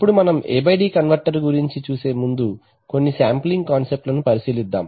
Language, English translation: Telugu, Now before we look at the A/D converter let us take a look at some sampling concepts